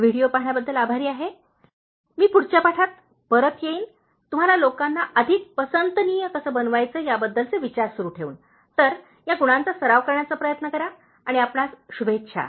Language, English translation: Marathi, Thank you so much for watching this video, I will come back in the next lesson, continuing with more thoughts on how to make people like you, so try to practice these qualities and wish you all the best